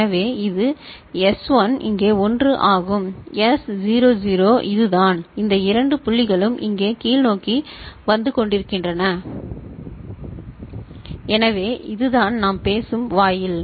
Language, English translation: Tamil, So, this is the case it happens S1 is 1 here, S naught is 0 this is the case these two points that is coming downward over here so, this is this AND gate we are talking about ok